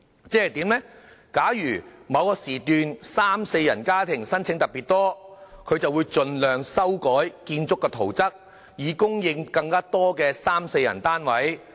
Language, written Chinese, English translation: Cantonese, 即是說，假如某時段三至四人家庭的申請特別多，它就會盡量修改建築圖則，以供應更多三至四人單位。, That is to say should the number of applications of three - to - four - person households be exceptionally high in a certain period HA will amend the building plans so as to supply more three - to - four - person flats